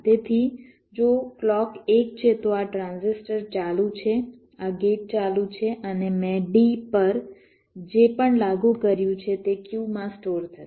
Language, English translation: Gujarati, so if clock is one, then this transistor is on, this gate is on and whatever i have applied to d, that will get stored in q